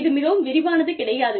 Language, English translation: Tamil, This is not the complete detail